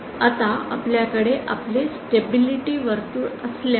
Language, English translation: Marathi, Now if you have your stability circle like this